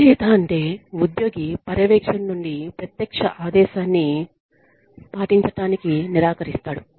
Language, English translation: Telugu, Insubordination means, that the employee, refuses to obey a direct order, from a supervisor